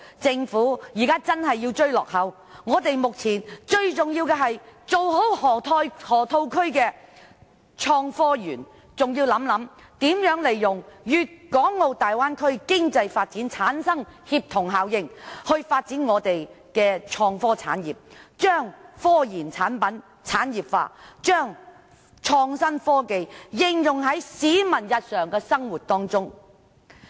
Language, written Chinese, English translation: Cantonese, 政府現在真的要迎頭趕上，目前最重要的，是好好處理河套區創科園的相關事宜，亦要考慮如何利用粵港澳大灣區的經濟發展所產生的協同效應，以發展香港的創科產業，將科研產品產業化，將創新科技應用於市民的日常生活中。, Now the Government should really strive to catch up . Most importantly now it should properly deal with the matters relating to the Innovation and Technology Park in the Loop . It should also consider how to make use of the synergy brought forth by the economic development in the Guangdong - Hong Kong - Macao Bay Area to develop the innovation and technology industry in Hong Kong to industrialize the products of scientific research and to apply innovative technologies in the peoples daily life